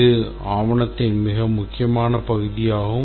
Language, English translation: Tamil, It is a very important section